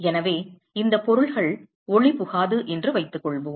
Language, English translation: Tamil, So, let us assume that these objects are opaque